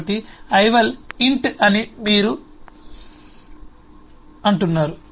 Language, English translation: Telugu, so you say ival is int